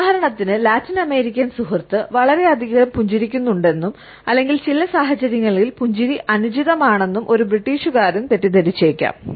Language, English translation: Malayalam, For example, a British may miss perceived that the Latin American friend is smiling too much or that the smile is inappropriate in certain situations